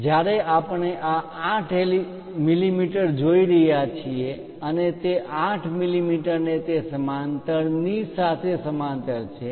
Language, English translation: Gujarati, When we are looking at this 8 mm and this 8 mm are in parallel with this parallel with that